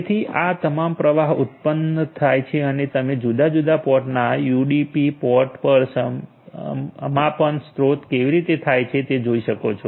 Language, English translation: Gujarati, So, all the traffics are generated the flows are generated and you can see the finish on UDP ports of different ports are generated took has source